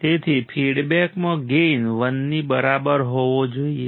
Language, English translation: Gujarati, So, gain into feedback should be equal to 1